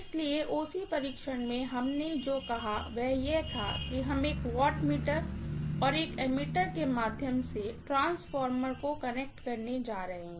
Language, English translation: Hindi, So, in OC test, what we said was that we are going to have the transformer connected through a wattmeter, right